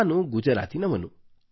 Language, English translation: Kannada, I am from Gujarat